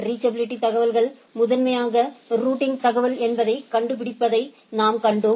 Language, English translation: Tamil, As we seen that reachability informations is primarily finding that more that is the routing information